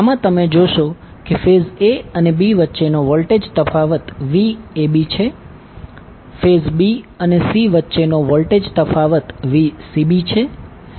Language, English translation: Gujarati, In this you will see the voltage difference between phase a and b is Vab between phase b and c is Vcb